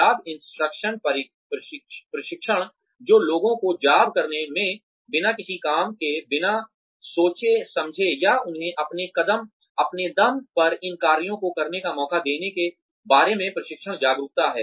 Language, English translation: Hindi, Job instruction training is an awareness of, or training people about the steps involved, in doing a job, without actually having them or giving them a chance to do these jobs on their own